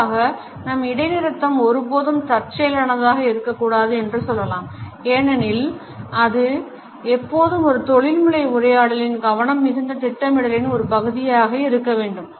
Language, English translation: Tamil, In general we can say that the pause should never be accidental it should always be a part of careful planning in a professional dialogue